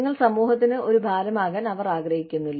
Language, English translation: Malayalam, They do not want you, to be a burden on society